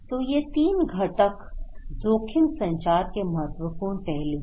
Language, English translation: Hindi, So, these 3 components are important aspect of risk communications